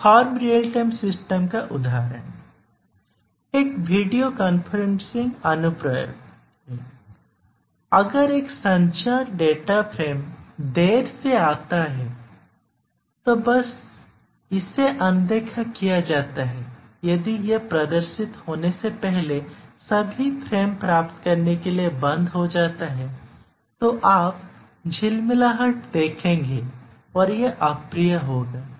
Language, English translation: Hindi, A video conferencing application, if a communication data frame arrives late then that is simply ignored, if it stops for getting all the frames before it displays then you will see flicker and it will be unpleasant